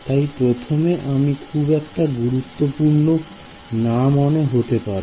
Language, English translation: Bengali, So, it will look a little silly at first